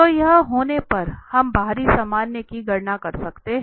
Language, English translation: Hindi, So, having this we can compute the outward normal